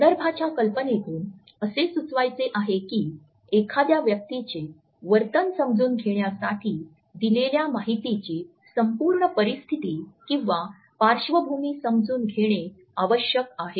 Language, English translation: Marathi, By the idea of context, he wants to suggest that in order to understand the behavior of a person it is necessary to encode the whole situation or background of the given information